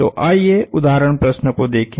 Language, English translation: Hindi, So, let us look at the example problem